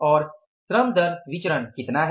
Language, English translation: Hindi, And what is the labor rate of pay variance